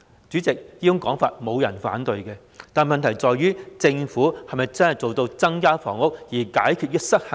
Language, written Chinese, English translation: Cantonese, 主席，沒有人會反對這種說法，但問題是政府能否真正做到增加房屋、解決失衡呢？, President no one will oppose this but the question is can the Government really increase the housing supply to solve the problems of imbalance?